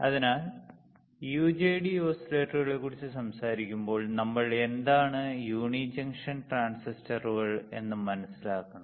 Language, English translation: Malayalam, So, when we talk about UJT oscillators, we have to understand; what are uni junction transistors and why we had to use UJT oscillators